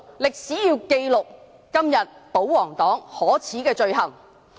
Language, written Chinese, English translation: Cantonese, 歷史要記錄今天保皇黨可耻的罪行。, History will record the despicable action of the royalists today